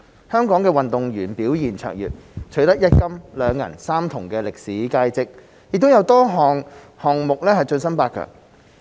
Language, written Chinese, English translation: Cantonese, 香港運動員表現超卓，取得一金、兩銀、三銅的歷史佳績，亦在多個項目晉身八強。, Hong Kong athletes performed exceptionally well and achieved historic results winning one gold two silver and three bronze medals and they also advanced to quarter - finals in a number of events